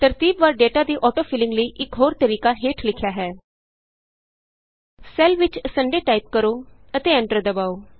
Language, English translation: Punjabi, Another method for auto filling of sequential data is as follows Type Sunday in a cell and press Enter